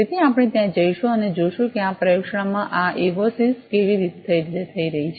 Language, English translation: Gujarati, So, we will just go there and see that how this evosis are being sensed in this laboratory